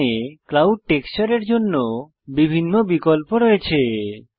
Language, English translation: Bengali, Here are various options for the clouds texture